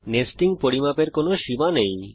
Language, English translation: Bengali, There is no limit to the amount of nesting